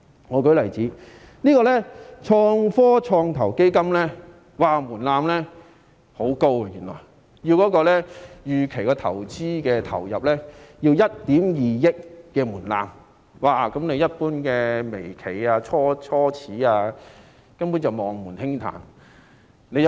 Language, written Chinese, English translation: Cantonese, 我舉個例子，創科創投基金的門檻原來很高，未投資承諾資本最少1億 2,000 萬元，一般微企、初創企業根本望門興嘆。, Let me give an example . The application threshold for the Innovation and Technology Venture Fund is indeed very high . A minimum remaining committed capital of 1.2 billion is required much to the chagrin of average micro enterprises and start - ups